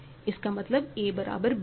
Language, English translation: Hindi, That means, a equal to b